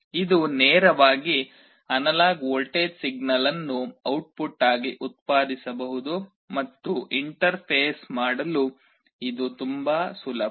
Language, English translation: Kannada, It can directly generate an analog voltage signal as output, and it is very easy to interface